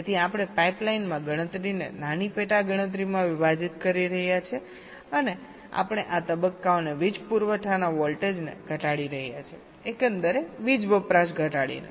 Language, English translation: Gujarati, so we are splitting a computation into smaller sub computation in a pipe line and we are reducing the power supply voltage of these stages their by reducing the overall power consumption